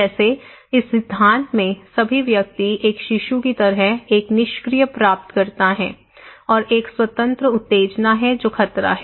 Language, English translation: Hindi, Like, in this theory all individuals are like a passive recipient like a baby, okay and there is of an independent stimulus that is the hazard